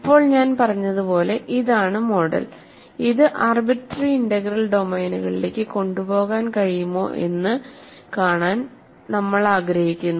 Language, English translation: Malayalam, So now, this is the model as I said to keep in mind; we want to see whether this can be carried over to arbitrary integral domains